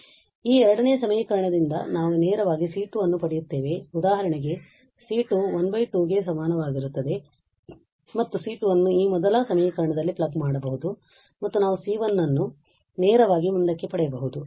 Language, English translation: Kannada, So, from this second equation we will get straight away C 2 is equal to half for instance and that C 2 can be plugged in in this first equation and we can get C 1 straight forward